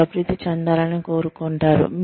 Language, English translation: Telugu, You will want to keep developing